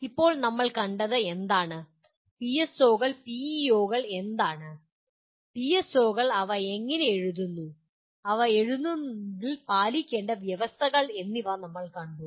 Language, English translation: Malayalam, Now, what we have seen is, we have seen what are PSOs, PEOs and what are PSOs and how do you write them and what are the conditions that need to be fulfilled in writing them